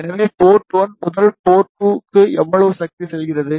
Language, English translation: Tamil, So, how much power is going from port 1 to port 2